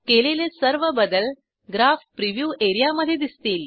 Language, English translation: Marathi, All changes can be seen in the Graph preview area